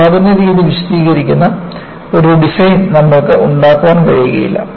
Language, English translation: Malayalam, You cannot have a design delinking the production method